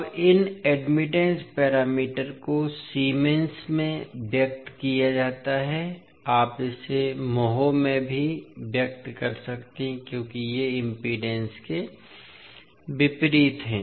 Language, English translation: Hindi, Now, these admittance parameters are expressed in Siemens, you can also say expressed in moles because these are opposite to impedance